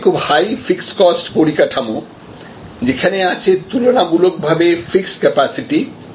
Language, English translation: Bengali, When, there is a high fixed cost structure, when there is a relatively fixed capacity